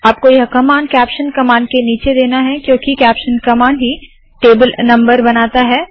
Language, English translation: Hindi, You have to give it below the caption command because it is the caption command that creates the table number